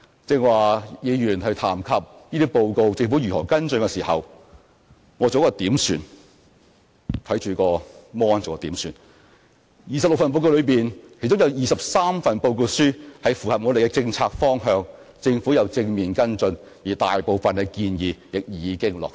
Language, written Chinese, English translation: Cantonese, 剛才議員談及政府如何跟進這些報告，我剛才看着電腦屏幕作了點算，在26份報告書中，有23份報告書符合我們的政策方向，政府有正面跟進，而大部分的建議亦已經落實。, Some Members have raised the question of how the Government would follow up the suggestions contained in these reports and I have checked the list of reports on my computer screen just now and found that of the 26 reports released 23 reports contain suggestions which dovetail with our policy directions . The Government has positively followed up the suggestions contained in these reports and most of them have already been implemented